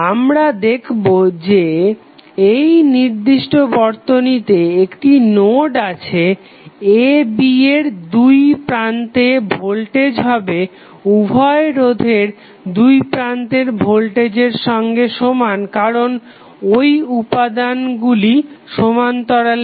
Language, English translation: Bengali, We will see that this particular circuit has 1 node the voltage across this particular circuit a, b would be nothing but the voltage across both of the resistances also because all those elements are in parallel